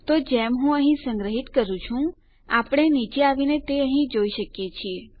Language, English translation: Gujarati, Okay so once I save here, we can come down and see this here